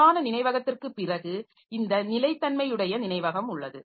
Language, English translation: Tamil, After main memory we have got this non volatile memory